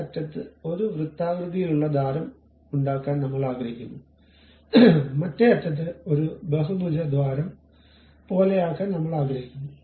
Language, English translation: Malayalam, At one end I would like to make a circular hole other end I would like to make something like a polygonal hole